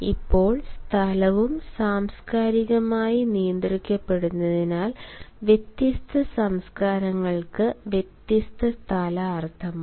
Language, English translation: Malayalam, now, since space is also culturally regulated, different cultures have different space meanings